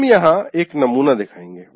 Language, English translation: Hindi, We will show one sample here like this